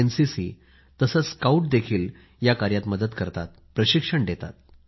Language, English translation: Marathi, Organisations like NCC and Scouts are also contributing in this task; they are getting trained too